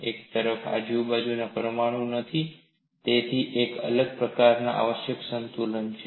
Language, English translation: Gujarati, There are no surrounding atoms on one side, thus requires a different kind of equilibrium